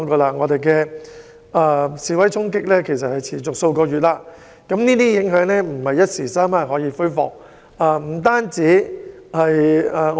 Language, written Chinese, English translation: Cantonese, 香港示威衝突持續數月，這些影響並非一時三刻能夠解決。, Protests have persisted in Hong Kong for the last several months the effects of which cannot be resolved within a short period of time